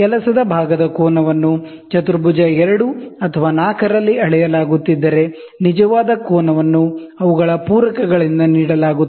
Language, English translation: Kannada, If the angle of the work part are being measured in quadrant 2 or 4 the actual angle are given by their supplements